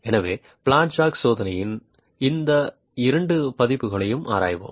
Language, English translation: Tamil, So, we will examine both these versions of the flat jack testing